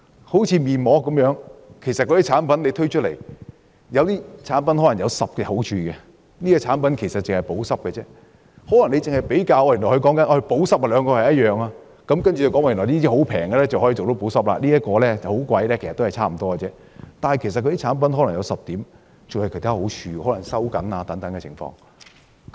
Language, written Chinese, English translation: Cantonese, 好像測試面膜，有些面膜產品可能有10種好處，有些面膜產品可能只是補濕，如果只比較補濕程度，兩者可能一樣，價格低的可以做到補濕，價格高的補濕效果也可能差不多，只是那些產品可能還有其他好處，例如有修緊皮膚的功效。, Some face mask products may have 10 strong points while some others may only help users moisturize . If only the level of moisturization is compared the two groups of products may be the same . While the lower - priced products are effective in moisturization the moisturizing efficacy of the higher - priced ones may be more or less the same but the higher - priced products may have other functions like tightening skins